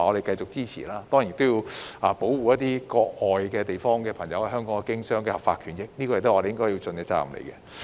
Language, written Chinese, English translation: Cantonese, 當然，我們亦要保護國外朋友在香港經商的合法權益，這也是我們應盡的責任。, Of course we also have to protect the lawful right of foreigners to conduct business in Hong Kong which is also our responsibility